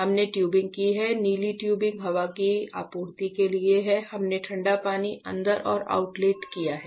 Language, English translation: Hindi, So, we have done the tubing this blue tubing is for the air supply, we have done the cooling water in and outlet